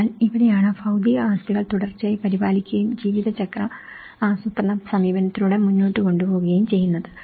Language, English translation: Malayalam, So, this is where the physical assets are continuously maintained and taken further with a lifecycle planning approach